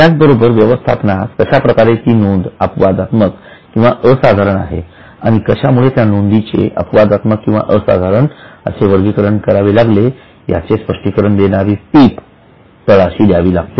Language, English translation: Marathi, In addition to that, management will have to write a note below explaining what is an exceptional, extraordinary item and why they have categorized that item as exceptional or extraordinary